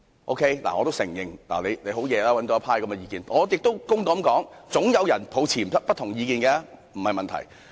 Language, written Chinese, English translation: Cantonese, 我得承認對此確有贊成意見，亦要公道地說總有人持不同意見，這不是問題。, I have to admit that there are indeed supporting views for the proposed amendment and I also have to say fairly that there are always people holding different views and this should not be a problem